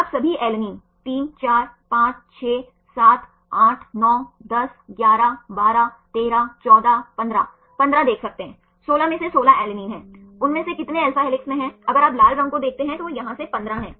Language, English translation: Hindi, You can see all the alanines 3, 4, 5, 6, 7, 8, 9, 10, 11, 12, ,13, 14, ,15, 16 there are 16 alanine out of 16 how many of them in alpha helix, if you see the red ones they are 15 of here right